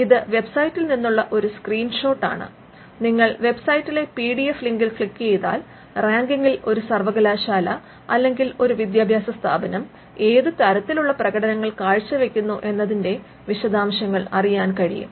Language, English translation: Malayalam, Now, this is a screenshot from the website and if you can click on the PDF link at the website, it will show the details of how each university or each institute fair in the ranking